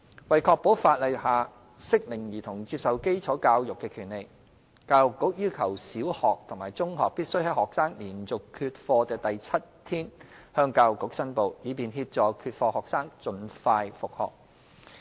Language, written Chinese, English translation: Cantonese, 為確保法例下適齡兒童接受基礎教育的權利，教育局要求小學及中學必須在學生連續缺課的第七天，向教育局申報，以便協助缺課學生盡快復學。, To uphold the right of school age children to universal basic education under the law primary and secondary schools are required to report students non - attendance to the Education Bureau on the seventh day of a students continuous absence so as to help non - attendance students resume schooling at an earliest opportunity